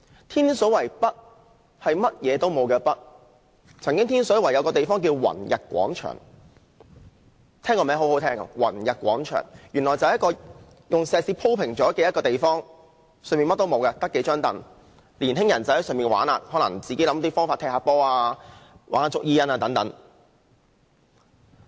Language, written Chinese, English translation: Cantonese, 天水圍北甚麼也沒有，但天水圍有一個地方叫宏逸廣場，很動聽的名字，卻只是一片石屎地，除了數張椅便甚麼也沒有，青年人可能會在那裏踢波或玩捉迷藏。, In the northern part of Tin Shui Wai there is nothing except an open area called Wang Yat Square which is a good name . Nevertheless it is only a concrete ground with a few benches where young people may play soccer or hide and seek